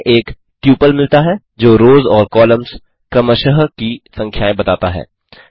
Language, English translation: Hindi, We get a tuple stating the numbers of rows and columns respectively